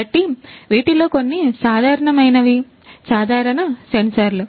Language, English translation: Telugu, So, some these are the generic ones, generic sensors